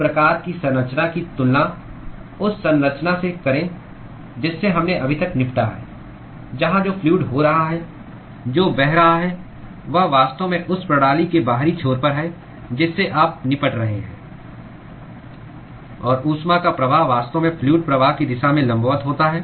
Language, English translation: Hindi, Compare this kind of a structure with the structure that we had dealt with so far, where the fluid which is being which is flowing is actually at the outer end of the system that you are dealing with; and the flow of heat is actually in the direction perpendicular to that of the fluid flow